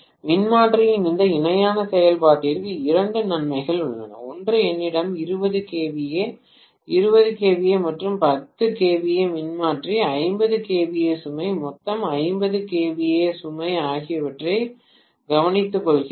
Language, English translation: Tamil, There are couple of advantages to this parallel operation of transformer, one is let us say I have 20 kVA, 20 kVA and 10 kVA transformer taking care of a 50 kVA load, total 50 kVA load